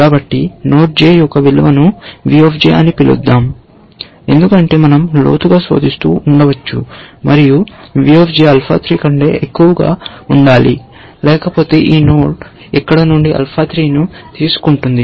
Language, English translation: Telugu, So, that means, let us call it v j, that is the value of this node j, because we may be searching deeper, must be greater than alpha 3; otherwise, this node will take alpha 3 from here